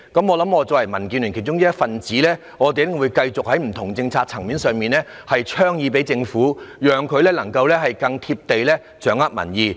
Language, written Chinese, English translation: Cantonese, 我作為民建聯的一分子，會繼續在不同政策層面上提出建議，讓政府能夠更"貼地"掌握民意。, As a member of DAB I will continue to give proposals on different policies to enable the Government to fully understand public opinion in a down - to - earth manner